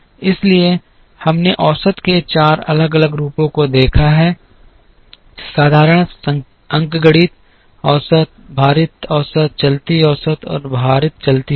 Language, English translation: Hindi, So, we have seen four different forms of average, the simple arithmetic average, the weighted average, the moving average, and the weighted moving average